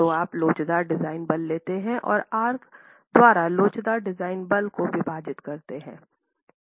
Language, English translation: Hindi, So you take the elastic design force and divide the elastic design force by R